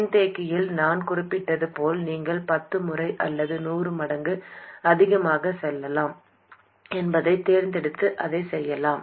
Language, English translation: Tamil, And just like I mentioned for the capacitor, you could choose, let's say, 10 times or 100 times more and be done with it